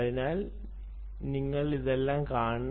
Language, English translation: Malayalam, so all this you should see